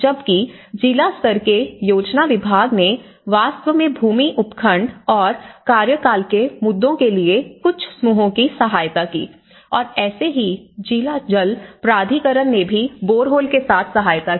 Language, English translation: Hindi, Whereas, the district level planning departments, they have actually assisted some of the groups in terms of land subdivision and tenure issues and also district water authorities also assisted some with the boreholes